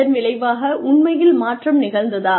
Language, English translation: Tamil, Did the change really occur